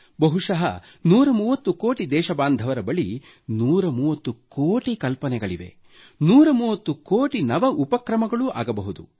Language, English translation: Kannada, And I do believe that perhaps 130 crore countrymen are endowed with 130 crore ideas & there could be 130 crore endeavours